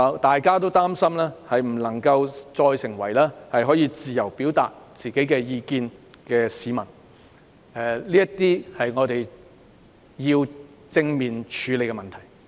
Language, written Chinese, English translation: Cantonese, 大家也擔心不能再自由地表達意見，這些是我們要正面處理的問題。, We are also worried that we can no longer express our opinions freely . These are problems we need to squarely address